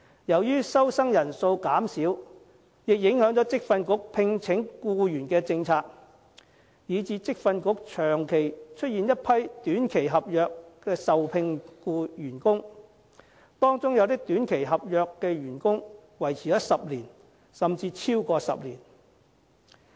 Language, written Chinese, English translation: Cantonese, 由於收生人數減少，亦影響職訓局聘請僱員的政策，以致職訓局長期出現一批以短期合約受聘的員工，當中有些短期合約員工維持了10年，甚至超過10年。, The reduced student intake also affects the VTCs plan of staff employment and thus gives rise to a group of short - term contract staff and some of them have been employed by VTC for 10 years or even longer